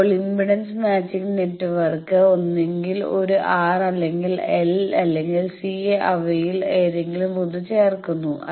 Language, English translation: Malayalam, Now, the impedance matching network is either adding either an R or L or C any of them a single one